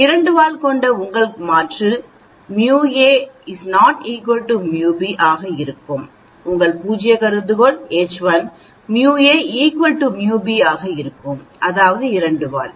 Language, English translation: Tamil, For a two tailed your alternate will be mu a is not equal to mu b, your null hypothesis will be mu a equal to mu b, that is the two tail